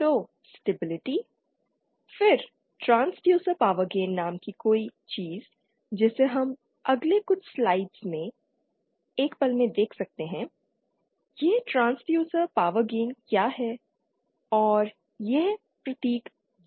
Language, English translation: Hindi, So stability, then something called transducer power gain we shall see in a moment in the next few slides may be, what is this transducer power gain and this is represented by the symbol G